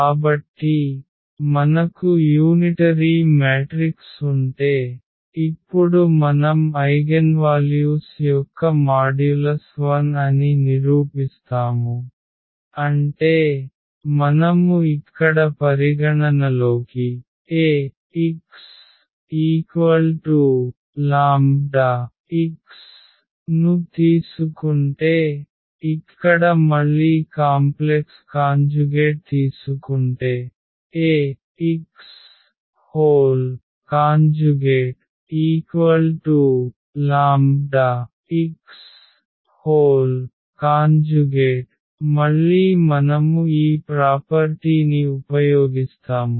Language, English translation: Telugu, So, if we have unitary matrix then we will prove now the eigenvalues the modulus of the eigenvalues is 1; that means, if you consider here Ax is equal to lambda x and then taking the complex conjugate here again Ax star is equal to lambda x star what we will get so this again we will use this property